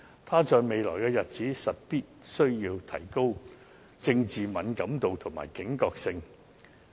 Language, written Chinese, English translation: Cantonese, 她在未來日子實在必須提高政治敏感度及警覺性。, She must enhance her political sensitivity and alertness in the days to come